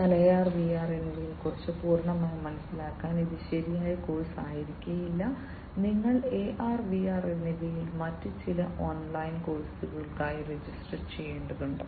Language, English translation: Malayalam, But then again you know this will not be right course for you to get you know the complete understand more about AR and VR, you need to register for some other online course on AR and VR